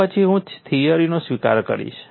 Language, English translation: Gujarati, Then I will accept the theory